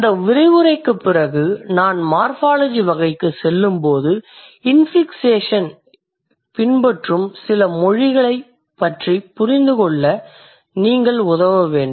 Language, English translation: Tamil, So, when after this lecture I move to morphological type, you should be able to help me to understand or you should be able to help yourself to understand that there are certain languages which allow infixation